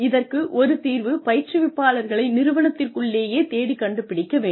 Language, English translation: Tamil, One solution is, to look inside and find trainers, from within the organization